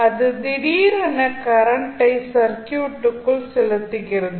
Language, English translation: Tamil, So, that is the sudden injection of current into the circuit